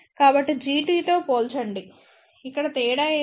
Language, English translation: Telugu, So, compare to G t, what is the difference here